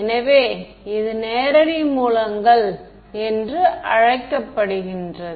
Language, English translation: Tamil, So, this is about what are called direct sources